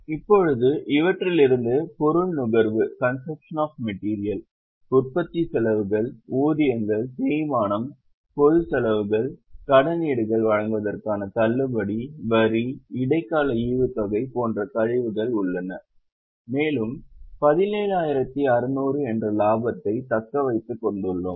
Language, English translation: Tamil, Now from these there are deductions like consumption of material, manufacturing expenses, wages, depreciation, general expenses, discount on issue of debentures, tax, interim dividend and we have got profit retained which is 17,600